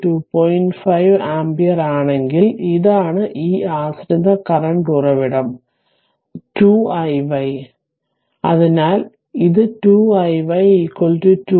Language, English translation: Malayalam, 5 ampere then this is that dependent current source 2 i y, so it is 2 i y is equal to 2 into 2